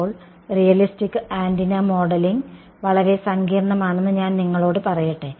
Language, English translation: Malayalam, Now, let me on you that modeling realistic antenna is quite complicated